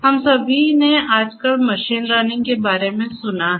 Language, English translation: Hindi, All of us we have heard about machine learning nowadays